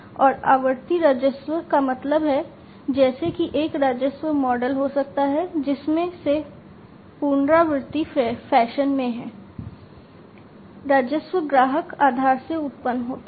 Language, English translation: Hindi, And recurring revenues means, like there could be a revenue model from which in a recurring fashion, the revenues are generated from the customer base